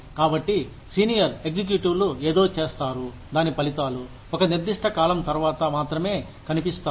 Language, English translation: Telugu, So, senior executives do something, the results of which, become visible, only after a certain period of time